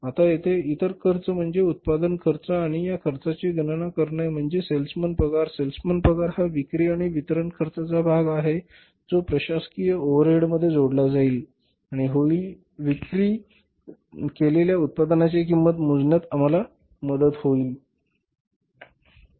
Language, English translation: Marathi, Now other expenses here are the expenses which will be after the administrative calculating the cost of production and these expenses for example salesman salaries are again the part of the selling and distribution cost which will be added into the administrative overheads and will be helping us to calculate the cost of the product to be sold